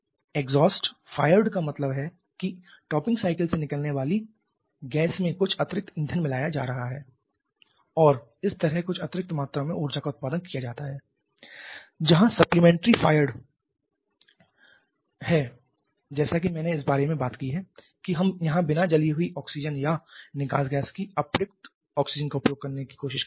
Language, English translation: Hindi, Exhaust fired means where some additional fuel is added in the gas that is coming out of the topping cycle and thereby producing some additional amount of energy where a supplement referred as I have talked about where we are trying to utilize the unburned oxygen or unused oxygen of the exhaust gas that we can refer to as a supplementary fire